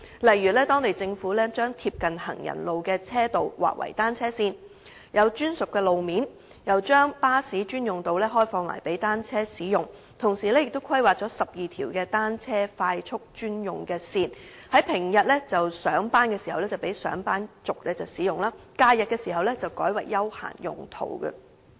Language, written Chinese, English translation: Cantonese, 例如，當地政府將貼近行人路的車道劃為單車線，有專屬路面，又將巴士專用道路開放給單車使用，同時亦規劃了12條單車快速專用線，在平日上班時讓上班族使用，假日時則改為休閒用途。, One example is the provision of dedicated road space by the London Government through designating the vehicle lanes adjoining pavements as cycling paths . Besides bus lanes are opened to cyclists along with planning for 12 Cycle Superhighways for use by commuters going to work on weekdays and for leisure purpose during weekends